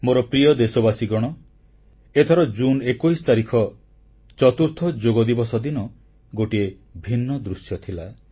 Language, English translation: Odia, My dear countrymen, this 21st of June, the fourth Yoga Day presented the rarest of sights